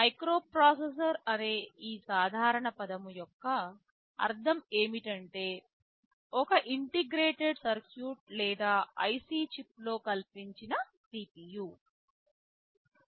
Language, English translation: Telugu, Microprocessor is a general term which means a CPU fabricated within a single integrated circuit or IC chip